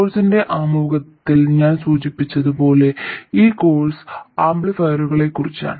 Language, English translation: Malayalam, As I mentioned in the introduction to the course, this course is about amplifiers